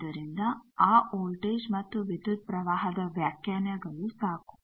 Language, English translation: Kannada, So, that voltage and current definitions suffice